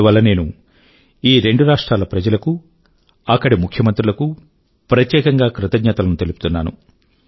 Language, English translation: Telugu, I would like to especially express my gratitude to the people and the Chief Ministers of both the states for making this possible